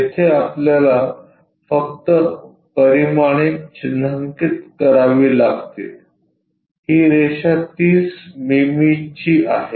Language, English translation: Marathi, Here we just have to mark the dimensions like this line will be 30 mm